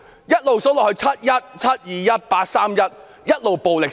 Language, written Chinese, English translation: Cantonese, 再數下去，"七一"、"七二一"、"八三一"，暴力一直升級。, The list went on with escalating violence in the 1 July 21 July and 31 August incidents